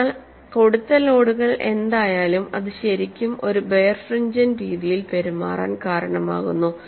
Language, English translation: Malayalam, So, whatever the loads that are introduced, that really causes this to behave in a birefringent manner